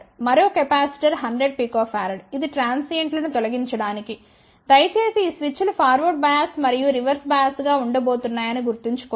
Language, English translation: Telugu, And another 100 pico farad capacitor to kill the transients please recall that these switches are going to be forward bias and reverse bias